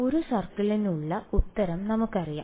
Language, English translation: Malayalam, And we know the answer for a circle